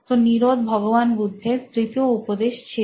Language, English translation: Bengali, This was Lord Buddha’s third truth